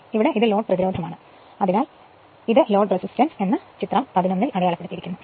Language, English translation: Malayalam, So, this is my this is our load resistance therefore, this is it is marked also load resistance right this in figure 11